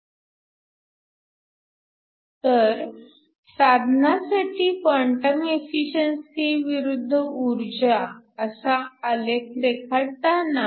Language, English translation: Marathi, So, you were to draw the quantum efficiency of this device versus the energy